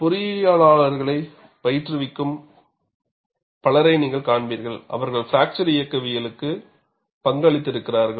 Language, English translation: Tamil, Now, you will find many people, who are practicing engineers, they have contributed to fracture mechanics